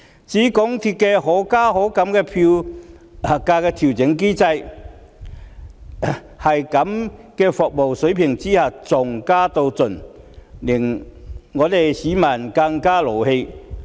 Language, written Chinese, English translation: Cantonese, 至於港鐵公司的可加可減票價調整機制，在這種服務水平下，還要加到盡，令市民感到更氣憤。, Insofar as MTRCLs Fare Adjustment Mechanism that allows fares to go upwards and downwards is concerned it infuriated the public that MTRCL still sought a maximum fare increase despite its service level